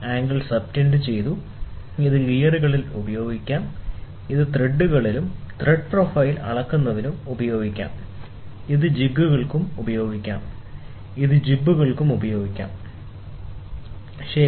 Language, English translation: Malayalam, The angle which is subtended, it can be used in gears, it can be used in threads, thread profile measurement, it can be also used for jigs, ok, and it can also be used for jibs, ok